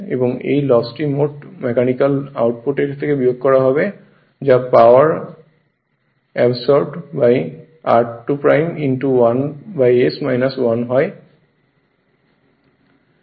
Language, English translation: Bengali, And this loss would be subtracted from the gross mechanical output that is power absorbed by r 2 dash 1 upon s minus 1 this one right